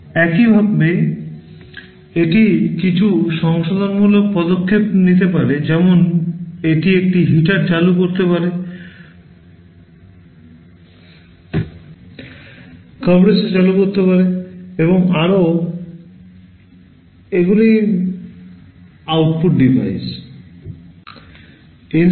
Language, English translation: Bengali, And similarly it can take some corrective action like it can turn on a heater, turn on the compressor, and so on; these are the output devices